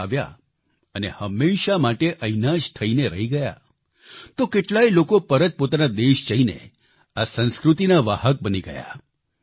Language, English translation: Gujarati, Many people came to India to discover & study them & stayed back for ever, whereas some of them returned to their respective countries as carriers of this culture